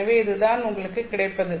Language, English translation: Tamil, So this is what you get